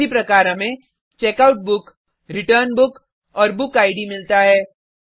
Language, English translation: Hindi, Similarly we get checkout book, return book and book id